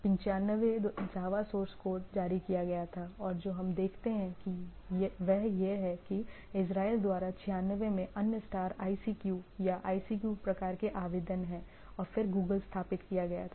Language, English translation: Hindi, 95 JAVA source code was released and what we see that there are other stars ICQ or ICQ type of application in 96 by Israel and then 1998 Google was founded